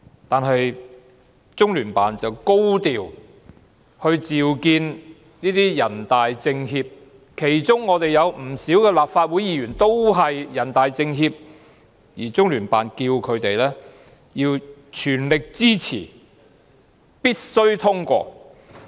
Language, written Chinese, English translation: Cantonese, 但是，中聯辦卻高調召見若干港區全國人大代表及政協委員，其中有不少都是立法會議員，而中聯辦要他們全力支持《條例草案》，必須通過《條例草案》。, However the Liaison Office arranged to have a meeting in a high - profile manner with certain Hong Kong deputies to the National Peoples Congress and Hong Kong members of the National Committee of the Chinese Peoples Political Consultative Conference not a few of them are Legislative Council Members and the Liaison Office asked them to fully support the Bill and have the Bill passed